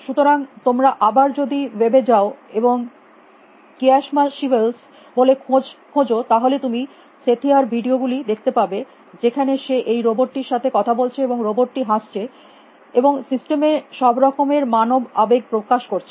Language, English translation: Bengali, So, again if you go the web and look for kismachivels see videos of Sethia talking to this robot and robots smiling and you know, making all kind of human express human like expressions in the system